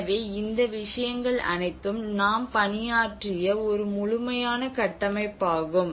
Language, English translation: Tamil, So all these things has to come this is a very holistic framework which we worked on